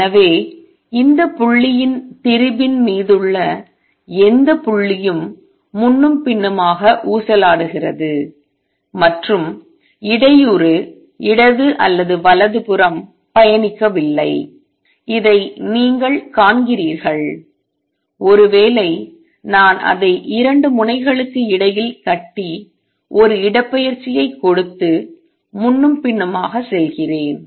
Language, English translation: Tamil, So, all the points any point on this strain is oscillating back and forth and the disturbance is not traveling either to the left or to the right; you see in this; suppose, I take a strain tie it between 2 ends and give it a displacement and just goes back and forth